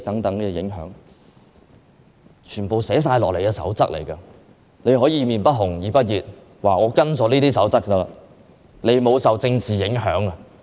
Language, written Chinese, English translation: Cantonese, 雖然這些因素全皆包含於《守則》內，但她卻可以"臉不紅，耳不熱"地表示已根據《守則》行事，沒有受政治因素影響。, While all such requirements can be found in the Code she has nonetheless argued shamelessly that her action has already conformed to the Code and has not been influenced by any political factors